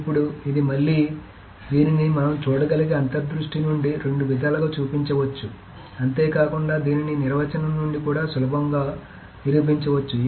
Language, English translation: Telugu, Now this is again this can be shown in two ways from the intuition we can see plus also it can be actually proved quite easily from the definition